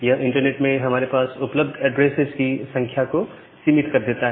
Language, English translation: Hindi, So, this further limits the number of available addresses that we have in the internet